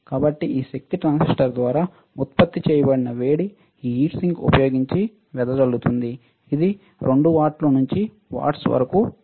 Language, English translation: Telugu, So, the heat generated by this power transistor is dissipated using this heat sink, this is for 2 watts to watts